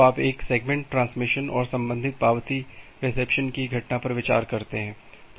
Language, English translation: Hindi, So, you consider the event of a segment transmission and the corresponding acknowledgement reception